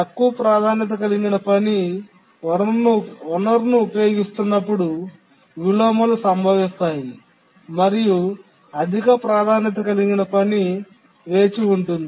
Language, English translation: Telugu, The inversion occurs when a lower priority task is using resource and high priority task is waiting